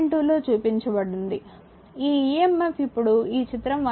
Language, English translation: Telugu, 2 will come, this emf now this figure 1